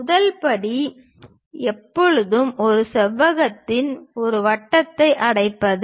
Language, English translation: Tamil, The first step is always enclose a circle in a rectangle